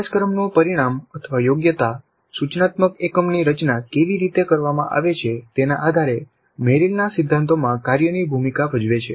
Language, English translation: Gujarati, The course outcome are the competency depending upon how the instructor unit is designed place the role of the task in Merrill's principles